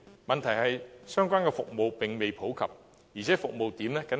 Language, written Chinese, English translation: Cantonese, 問題是，相關的服務並未普及，而且服務點僅限於深圳。, The problem is that the relevant service is not popular and is not found outside of Shenzhen